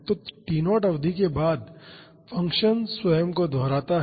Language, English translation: Hindi, So, after the duration of T naught the function repeats itself